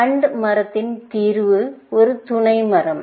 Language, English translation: Tamil, The solution in an AND OR tree is a sub tree